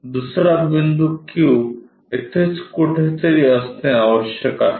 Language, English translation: Marathi, So, the other point Q must be somewhere here